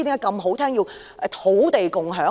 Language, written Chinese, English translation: Cantonese, 甚麼是土地共享？, What is land sharing?